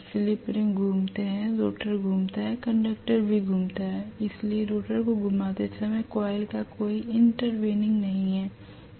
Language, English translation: Hindi, The slip rings rotate, the rotor rotates, the conductor also rotate so there is no intertwining of the coil when the rotor is rotating, there is no problem